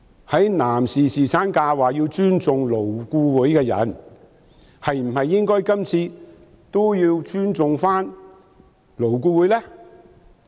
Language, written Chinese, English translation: Cantonese, 在男士侍產假上表示要尊重勞顧會的人，今次是否也應該尊重勞顧會呢？, For those people who said that LAB should be respected insofar as paternity leave is concerned should they not also respect LAB on this issue?